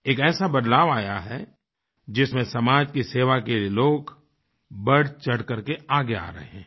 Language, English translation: Hindi, It is a change where people are increasingly willing to contribute for the sake of service to society